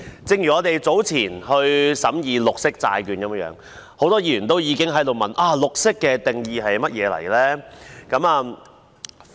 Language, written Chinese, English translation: Cantonese, 正如我們早前審議綠色債券，很多議員都已經問，"綠色"的定義是甚麼。, As in the case when we discussed green bond earlier many Members have asked about the definition of green